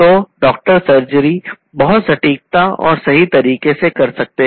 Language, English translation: Hindi, So, the doctors can perform this surgery very precisely accurately